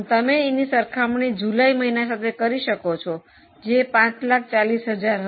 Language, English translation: Gujarati, So, you can compare in the month of July it was 540